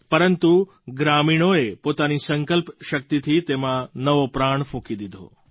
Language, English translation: Gujarati, But the villagers, through the power of their collective resolve pumped life into it